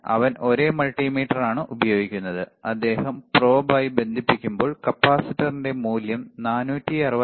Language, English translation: Malayalam, He is using the same multimeter, and when he is connecting with the probe, we can see the value of the capacitor which is around 464